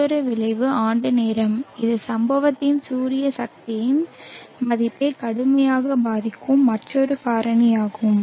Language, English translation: Tamil, Another effect is time of year this is another factor which seriously affects the value of the incident solar energy